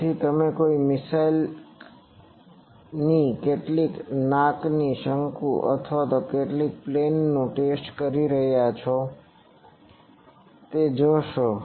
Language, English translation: Gujarati, So, you see some nose cone of a missile or some aircraft that is getting tested